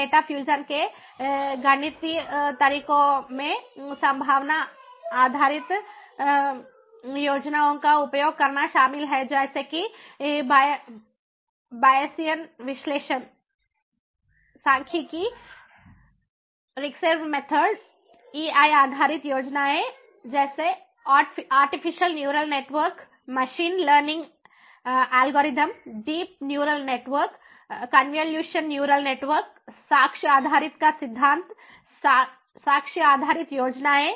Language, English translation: Hindi, the mathematical methods of data fusion include using probability based schemes such as bayesian analysis, statistics, recursive methods, ei based schemes, such as artificial neural network, machine learning algorithms, deep neural networks, convolutional neural networks, theory of evidence based ah, ah, ah, you know, evidence based schemes, for example, ah, belief functions, taking use of belief functions, transferable belief models